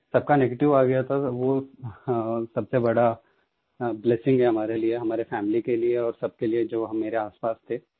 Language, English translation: Hindi, The result was negative, which was the biggest blessing for us, for our family and all those around me